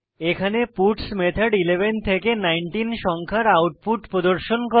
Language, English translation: Bengali, The puts method here will display the output for numbers 11 to 19